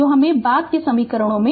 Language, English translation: Hindi, So, this later later equations are there right